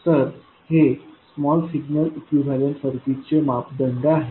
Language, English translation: Marathi, So these are the parameters of the small signal equivalent circuit